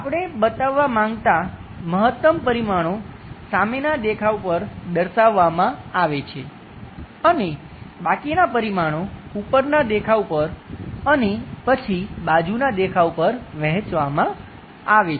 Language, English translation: Gujarati, The maximum dimensions, we are supposed to show it on the front view and the remaining left over dimensions will be d1stributed on the top view, then after side view